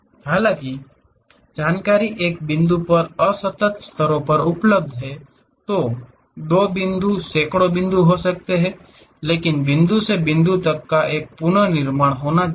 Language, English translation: Hindi, Though, information is available at discrete levels at one point, two points may be hundreds of points, but there should be a reconstruction supposed to happen from point to point